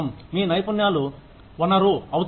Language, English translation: Telugu, Your skills become the resource